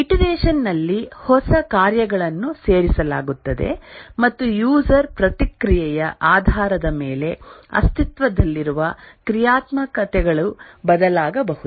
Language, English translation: Kannada, In iteration, new functionalities will be added and also the existing functionalities can change based on the user feedback